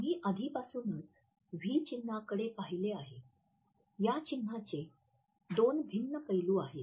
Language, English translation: Marathi, We have looked at the V symbol already; the two different aspects of this symbol